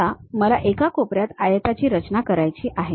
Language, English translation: Marathi, I would like to construct a corner rectangle